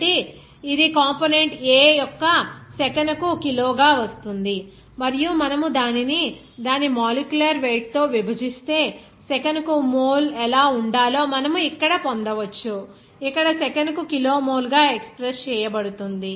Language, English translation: Telugu, So, it will be coming as kg per second of this component A and if you divide it by its molecular weight, then you can get simply what should be the mole per second to be here expressed as kilomole per second